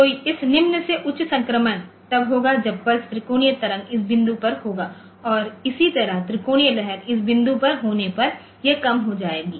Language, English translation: Hindi, So, at this low to high transition will occur when as when the pulse is at the when the triangular wave is at this point and similarly this will go low when the triangular wave is at this point